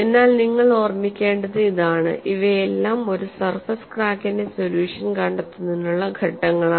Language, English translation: Malayalam, But what you will have to keep in mind is all these are steps towards getting a solution for a surface crack; they are not comprehensive enough